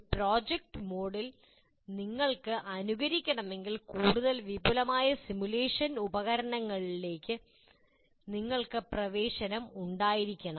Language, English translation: Malayalam, In a project mode if you want, you have to have access to a bigger, more elaborate simulation tools